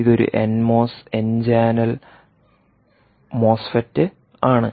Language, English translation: Malayalam, mos, n mos, n channel mosfet